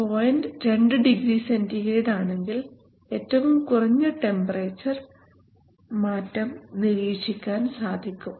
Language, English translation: Malayalam, 2 degree centigrade then is the smallest temperature change that can be observed